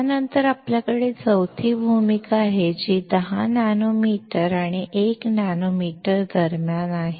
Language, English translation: Marathi, We then have the fourth role which is somewhere between 10 nanometer and 1 nanometer